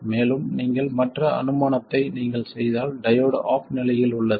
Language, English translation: Tamil, And if you make the other assumption that the diode is off, in that case the diode to be on, then I have 0